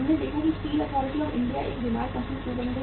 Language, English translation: Hindi, We saw that why the Steel Authority of India became a sick company